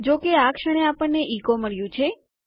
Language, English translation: Gujarati, However, at the moment weve got echo